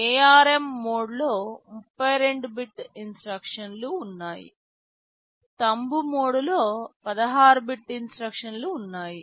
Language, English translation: Telugu, In ARM mode, there are 32 bit instructions; in Thumb mode there are 16 bit instructions